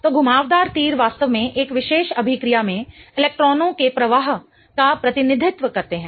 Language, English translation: Hindi, So, curved arrows really represent the flow of electrons in a particular reaction